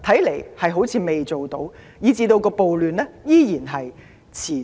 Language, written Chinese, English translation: Cantonese, 答案似乎是否定的，此所以暴亂依然持續。, The answers to all of these questions seem to be No . This is why the riots are still persisting